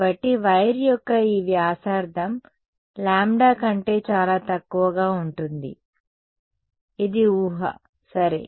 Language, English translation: Telugu, So, this radius of wire is equal to a which is much much less than lambda that is the assumption ok